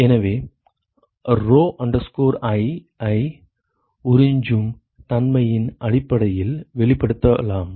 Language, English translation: Tamil, So, rho i can be expressed in terms of the absorptivity